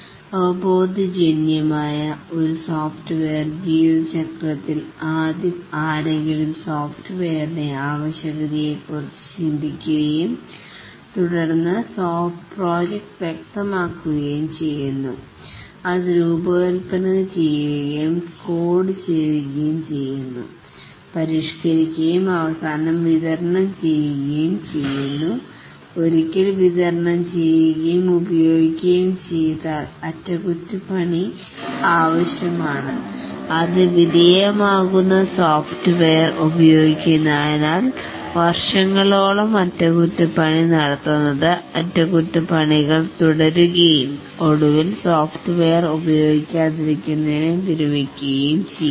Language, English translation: Malayalam, Intuitively the software lifecycle consists of first somebody thinks of the project, the need for the software and then the project is specified it is designed it is coded it is tested finally delivered and once it is delivered and used it needs maintenance and it undergoes maintenance for number of years as the software gets used over many years, maintenance activities proceed